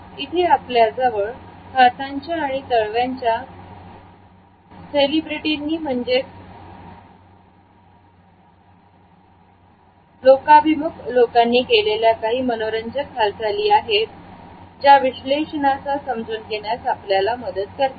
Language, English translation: Marathi, Here we have an interesting analysis of the palm and hand movements of certain celebrities which would further help us to understand this analysis